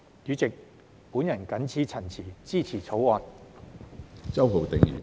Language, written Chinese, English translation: Cantonese, 主席，我謹此陳辭，支持《條例草案》。, With these remarks President I support the Bill